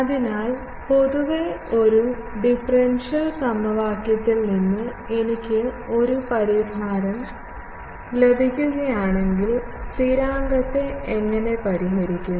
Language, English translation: Malayalam, So, generally how in a solution, if I get a solution from a differential equation, how do we solve the constant